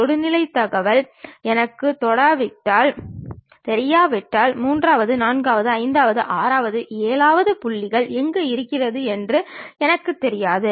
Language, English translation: Tamil, Unless I know the tangent information I do not know where exactly the third, fourth, fifth, sixth, seventh points are present